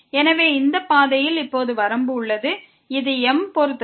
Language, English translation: Tamil, So, that is the limit now along this path which depends on m